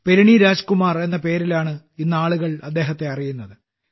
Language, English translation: Malayalam, Today, people have started knowing him by the name of Perini Rajkumar